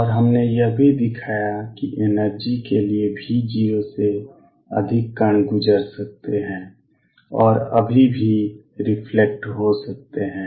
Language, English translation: Hindi, And we also showed that for energy is greater than V 0 energy is greater than V 0 particles can go through and also still reflect